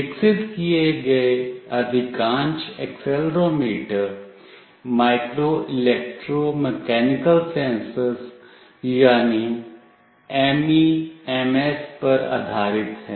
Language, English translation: Hindi, Most of the accelerometers that are developed are based on Micro Electro Mechanical Sensors